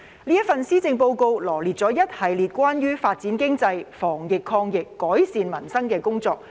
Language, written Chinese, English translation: Cantonese, 這份施政報告羅列了一系列關於發展經濟、防疫抗疫、改善民生的工作。, The Policy Address has listed out a series of initiatives to develop the economy fight the epidemic and improve peoples livelihood